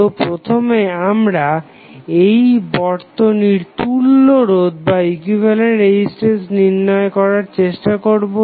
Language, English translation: Bengali, So, we will first try to find out the equivalent resistance of the circuit